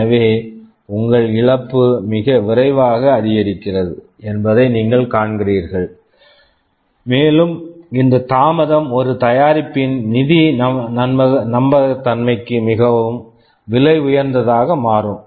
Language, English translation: Tamil, So you see that your loss increases very rapidly, and this delay becomes very costly for the financial viability of a product